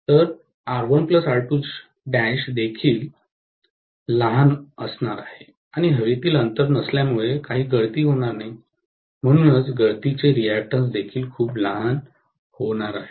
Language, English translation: Marathi, So, R1 plus R2 dash is also going to be small and there is hardly any leakage because there is not much of air gap, so, the leakage reactance’s are also going to be very very small